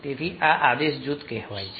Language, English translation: Gujarati, so this is called the command group